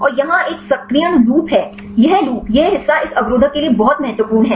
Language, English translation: Hindi, And here is a activation loop; this loop, this part is very important for this inhibitor